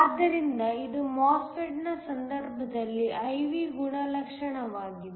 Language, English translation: Kannada, So, this is the I V characteristics in the case of a MOSFET